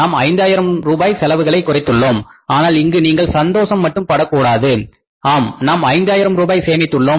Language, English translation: Tamil, We have saved 5,000 rupees on account of the expenses also right but here you cannot be only feel happy that yes we have saved $5,000 on account of the expenses also, right